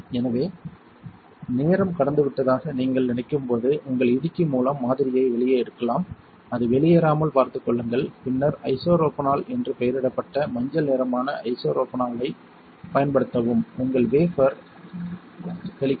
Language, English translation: Tamil, So, when you think the time has gone by, you can take out the sample with your tongs, make sure it does not drip out then use isopropanol which is the yellow one here labelled isopropanol and you spray your wafer you do it; very slowly and gently you do not have to splatter it just take your time